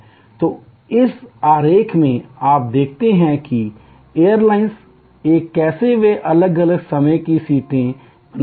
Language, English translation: Hindi, So, in this diagram you see how the airlines A, they create different times of seats